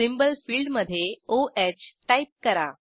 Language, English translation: Marathi, In the Symbol field type O H